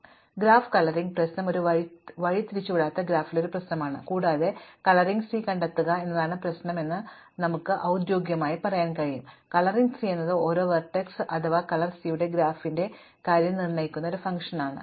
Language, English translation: Malayalam, So, the graph coloring problem is a problem on an undirected graph and we can formally say that the problem is to find a coloring C, a coloring C is a function that assigns to each vertex v a color C of v and in terms of the graph, when we have an edge v and v prime in our edge set, then C of v should be different from C of v prime